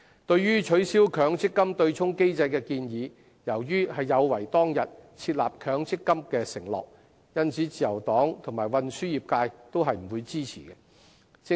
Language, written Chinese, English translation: Cantonese, 對於取消強制性公積金對沖機制的建議，由於有違當日設立強積金的承諾，因此自由黨及運輸業界均不會支持。, Insofar as the proposal to abolish the Mandatory Provident Fund MPF offsetting mechanism is concerned the Liberal Party and the transport sector will not render it support as it is in breach of the then consensus on establishing MPF schemes